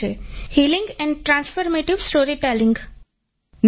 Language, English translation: Gujarati, 'Healing and transformative storytelling' is my goal